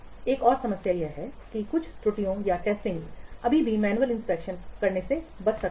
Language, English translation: Hindi, Another problem is that some errors might still escape during manual inspection